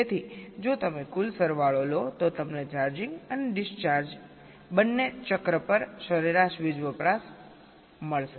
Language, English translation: Gujarati, so if you take the sum total you will get the average power consumption over both the cycles, charging and discharging